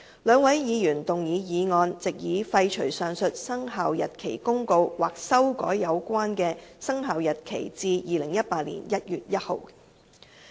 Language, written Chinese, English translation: Cantonese, 兩位議員動議決議案，藉以廢除上述《生效日期公告》或修改有關的生效日期至2018年1月1日。, Two Members have proposed resolutions to repeal the Commencement Notice or revise the commencement date to 1 January 2018